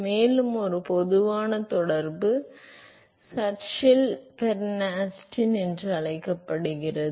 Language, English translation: Tamil, And, a general correlation is called the Churchill Bernstein